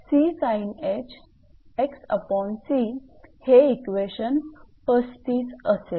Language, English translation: Marathi, So, this is equation your 35